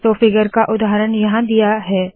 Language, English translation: Hindi, So example of the figure is given here